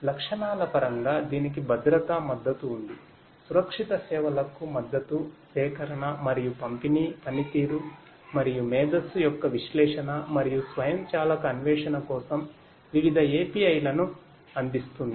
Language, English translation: Telugu, In terms of the features it has security support; support for secured services, procurement and distribution provides various APIs for analysis and automated exploration of performance and intelligence